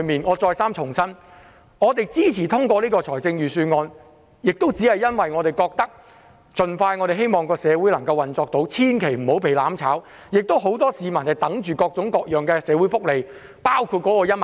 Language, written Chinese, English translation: Cantonese, 我再三重申，我們支持通過預算案，只是因為我們希望社會能夠盡快回復運作，不要被"攬炒"，很多市民等待着各種各樣的社會福利，包括派發1萬元。, I say again that we support the passage of the Budget only because we want society to resume its normal operation as soon as possible and not to be brought down by the mutual destruction activities . Many people are waiting for different kinds of social welfare benefits including the 10,000 cash handout